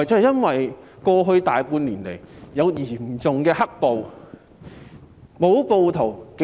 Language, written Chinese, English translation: Cantonese, 因為過去大半年來有嚴重"黑暴"。, Because of the grave black - clad violence in the past half a year